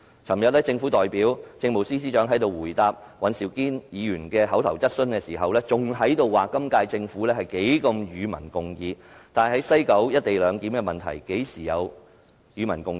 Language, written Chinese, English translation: Cantonese, 昨天，政府代表政務司司長在這裏答覆尹兆堅議員的口頭質詢時仍表示，今屆政府樂於與民共議，但在西九龍站"一地兩檢"的問題上，何時曾與民共議？, Yesterday when the Chief Secretary for Administration made a reply to Mr Andrew WANs oral question on behalf of the Government he still insisted that the current Government was willing to engage in public discussion . But regarding the question of the co - location arrangement at the West Kowloon Station when has public discussion be held?